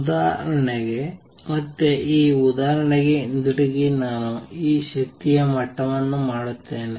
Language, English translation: Kannada, For example again going back to this example I will make these energy levels